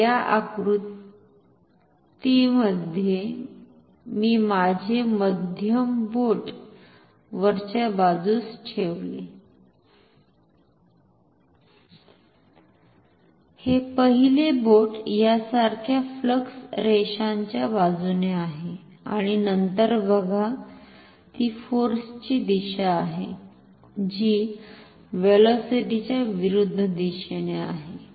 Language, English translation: Marathi, So, in this diagram I put my middle finger upwards, this first finger is along the flux lines like this and then see this is the direction of force, which is in the direction opposite to the velocity